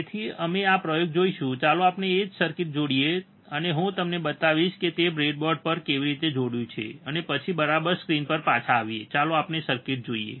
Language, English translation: Gujarati, So, we will see this experiment, let us see the same circuit he has attached, and I will show it to you how he has attached on the breadboard, and then we come back to the to the screen alright so, let us see the circuit